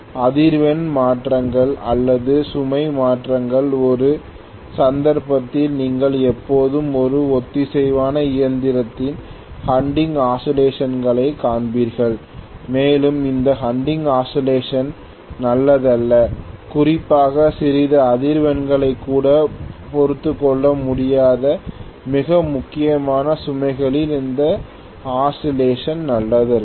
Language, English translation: Tamil, Either frequency changes or load changes, in either case you would see hunting oscillations always occurring in a synchronous machine and this hunting oscillations is not good especially if I am looking at very critical loads where even small vibrations cannot be tolerated